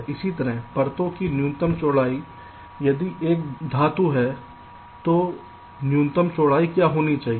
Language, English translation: Hindi, similarly, minimum widths of the layers: if it is metal, what should be the minimum width